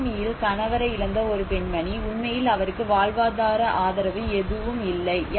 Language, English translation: Tamil, A lady who lost her husband in the tsunami, she actually does not have any livelihood support